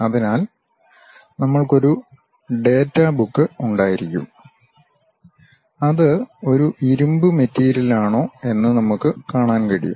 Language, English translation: Malayalam, So, we will be having a data book where we can really see if it is a iron material